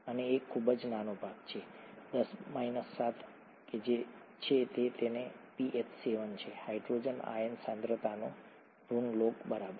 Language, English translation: Gujarati, And a very small part, ten power minus 7, is what it is and that’s why pH is 7, negative law of the hydrogen ion concentration, right